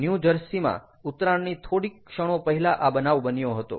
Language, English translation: Gujarati, it happened just moments before, before it was landing in new jersey